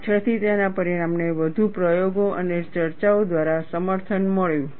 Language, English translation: Gujarati, Later on, his result was corroborated by further experiments and discussions